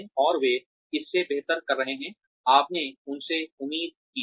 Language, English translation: Hindi, And, they are doing better than, you expected them to do